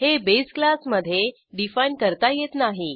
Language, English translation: Marathi, It is not defined in the base class